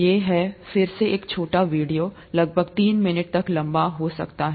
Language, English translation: Hindi, This is about again a short video, may be about three to for minutes long